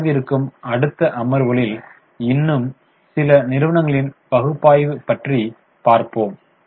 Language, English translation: Tamil, So, we will continue the analysis of a few more companies in coming sessions